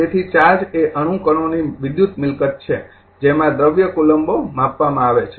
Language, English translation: Gujarati, So, therefore, charge is an electrical property of the atomic particles of which matter consists measured in coulomb